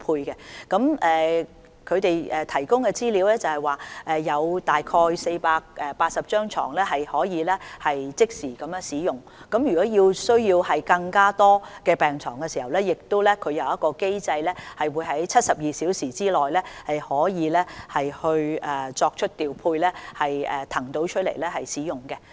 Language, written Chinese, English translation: Cantonese, 根據醫管局提供的資料，現時有大概480張病床可以即時使用，如果需要更多病床，他們亦有機制可以在72小時之內作出調配，騰空病床使用。, According to the information provided by HA about 480 beds can be immediately made available for use and if more beds are required they also have a mechanism to make deployment in 72 hours to vacate more beds for use